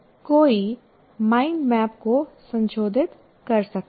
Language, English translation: Hindi, So one can modify the mind map